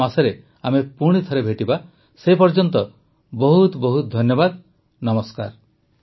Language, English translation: Odia, We'll meet again next month, until then, many many thanks